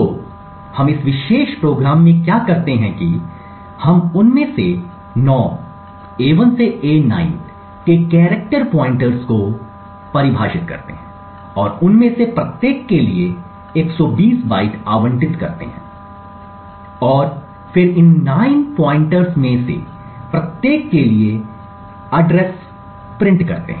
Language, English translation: Hindi, So, what we do in this particular program is that we define character pointers 9 of them a 1 to a 9 and allocate 120 bytes for each of them and then simply just print the addresses for each of these 9 pointers